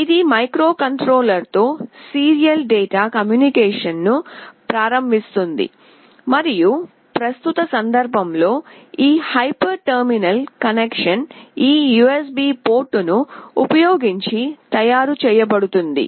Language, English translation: Telugu, This will enable the serial data communication with the microcontroller and this hyper terminal connection in the present context shall be made using this USB port